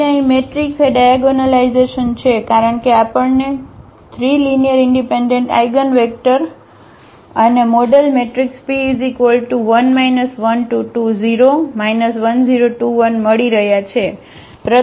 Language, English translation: Gujarati, So, here the matrix A is diagonalizable because we are getting 3 linearly independent eigenvector and the model matrix P here we will place this 1 to 0 minus 0 2